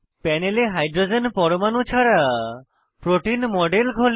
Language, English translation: Bengali, The model of protein on the panel is shown without hydrogens atoms